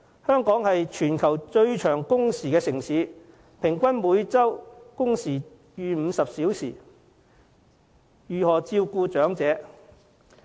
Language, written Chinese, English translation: Cantonese, 香港是全球最長工時的城市，平均每周工時超過50小時，如何照顧長者？, Hong Kong has the longest working hours in the world with an average workweek of over 50 hours . How do employees of Hong Kong find the time to take care of their elders?